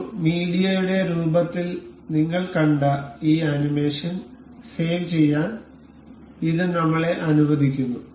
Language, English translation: Malayalam, This allows us to save this animation that we just saw in a form of a media